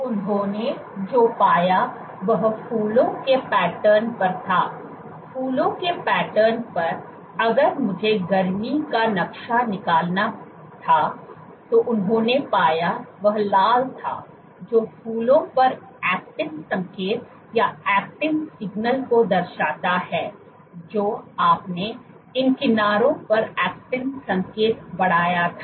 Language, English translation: Hindi, What they found was on the flower patterns; on the flower patterns, if I were to draw a heat map, what they found, was the red denotes the actin signal on the flowers you had increased actin signal on these edges, but for the star shaped